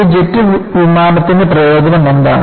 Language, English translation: Malayalam, And what is advantage of a jet airliner